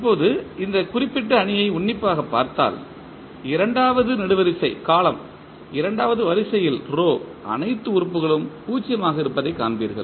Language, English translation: Tamil, Now, if you look this particular matrix closely you will see that the second column is, second row is having all elements is 0